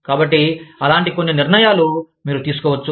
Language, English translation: Telugu, So, that is some decision, that you might take